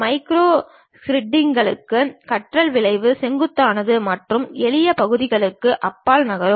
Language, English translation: Tamil, The learning curve to master macro scripts is steep and moving beyond simple parts